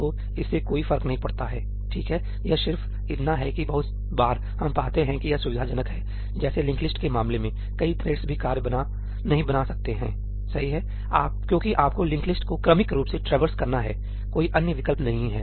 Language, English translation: Hindi, So, it does not matter, right; it is just that a lot of times we find that its convenient like in case of a linked list, multiple threads cannot even create the work because you have to sequentially traverse the linked list, there is no other option